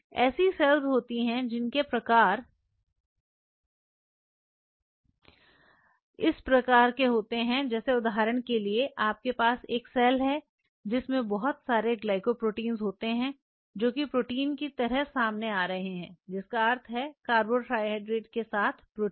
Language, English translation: Hindi, There are cells which have those kinds of phase if for example, you have a cell like this, which has lot of glycoproteins which are coming out like reporting means protein with a carbohydrate moiety